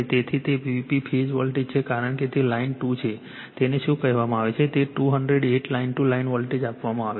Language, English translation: Gujarati, So, that is your V P phase voltage because it is line 2 , is your what you call that, your line to Line voltage is given, 208